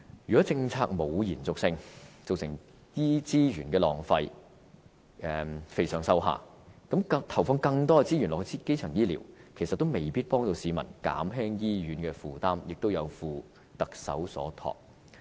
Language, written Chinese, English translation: Cantonese, 如果政府欠缺延續性，造成資源浪費，"肥上瘦下"，投放更多給資源基層醫療，其實也未必能夠減輕市民對醫院的需求，也有負特首所託。, If there is no continuity if there is a waste of resources and if it leads to a case of fattening the top but slimming the bottom then the Government may not be able to ease the public demand on hospital services even if it allocates more resources to primary health care services . It will only let the Chief Executive down